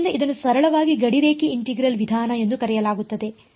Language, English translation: Kannada, So, its simply called the boundary integral method ok